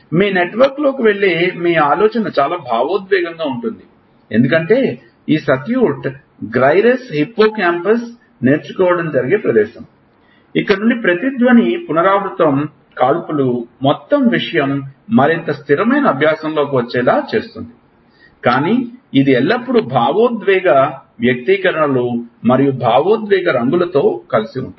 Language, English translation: Telugu, So, lot of your thinking which goes on into your network is also emotionally colored because, these circuit singulate gyrus, hippo campus is the place where learning happens this is where reverberation repeated firing makes the whole thing get into more stable type of learning, but it is always colored with emotional expressions and emotional colorings